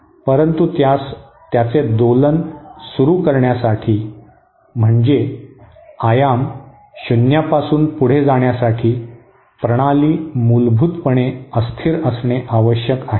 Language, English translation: Marathi, But for it to start oscillation that is for its amplitude to go from its 0 value the system has to be fundamentally unstable